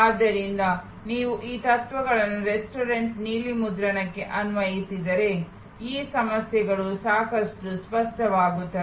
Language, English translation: Kannada, So, if you apply these principles to the restaurant blue print, these issues will become quite clear